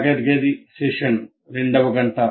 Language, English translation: Telugu, So the class session is first hour